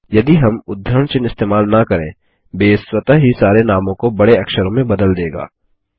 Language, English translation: Hindi, If we dont use the quotes, Base will automatically convert all names into upper cases